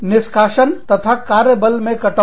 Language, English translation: Hindi, Termination and reduction in workforce